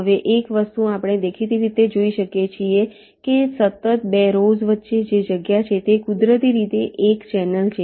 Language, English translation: Gujarati, now, one thing: we can obviously see that the space that is there in between two consecutive rows this is naturally a channel